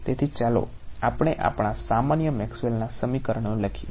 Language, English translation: Gujarati, So, let us just write down our usual Maxwell’s equation right